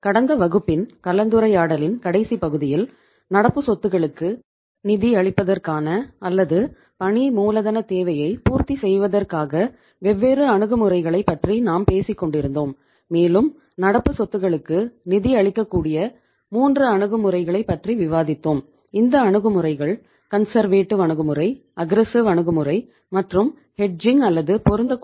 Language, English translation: Tamil, So in the last part of discussion we were talking about the different approaches of financing of current assets or say fulfilling the working capital requirement and we discussed 3 approaches under which the current assets can be financed